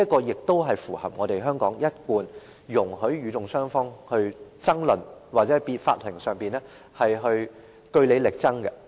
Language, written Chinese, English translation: Cantonese, 而這也是符合香港一貫容許與訟雙方爭論，或在法庭上據理力爭的做法。, This approach is in agreement with the established practice in Hong Kong where the two sides are allowed to argue and make their cases on court